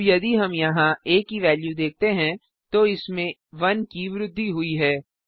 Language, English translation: Hindi, Now if we see the value of a here, it has been incremented by 1